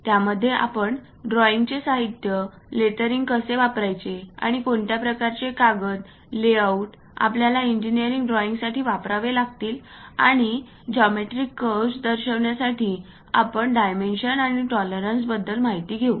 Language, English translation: Marathi, In that we know about drawing instruments how to use lettering, and what kind of papers, layouts we have to use for engineering drawing, and representing geometrical curves dimensioning and tolerances we will cover